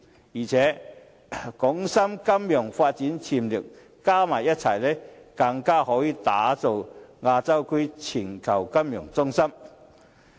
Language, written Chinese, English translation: Cantonese, 再者，港深金融發展潛力加在一起，更可打造亞洲區的全球金融中心。, Furthermore Hong Kong and Shenzhen with their developmental potential combined can become Asias global financial centre